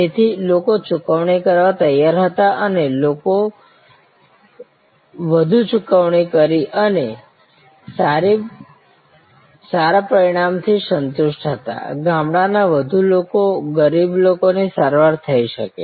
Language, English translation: Gujarati, So, people were willing to pay and more people paid and were satisfied with good result, more people from villages, poor people could be treated